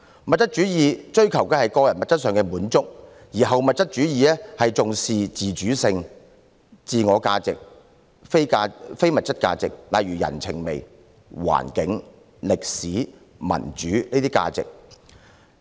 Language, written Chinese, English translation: Cantonese, 物質主義追求的是個人物質上的滿足，而後物質主義則更重視自主性、自我價值和非物質價值，例如人情味、環境、歷史、民主等價值。, Materialism is the pursuit of personal materialistic gratification whereas post - materialism values autonomy self - worth and such non - materialistic values as a human touch the environment history democracy and so on